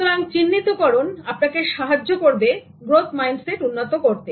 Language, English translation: Bengali, So this recognition will facilitate growth mindset